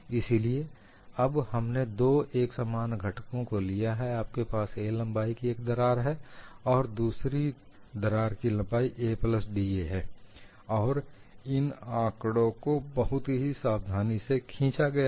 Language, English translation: Hindi, So, now I have taken two similar components: one, you have a crack of length a, another you have a crack of length a plus d a and this figures are also drawn very carefully